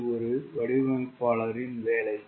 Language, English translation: Tamil, that is a designers job